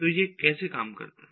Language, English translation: Hindi, so how do you handle it